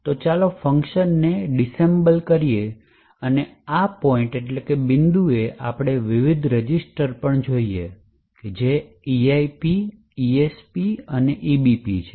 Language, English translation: Gujarati, So, let us disassemble the function and at this point we would also, look at the various registers that is the EIP, ESP and the EBP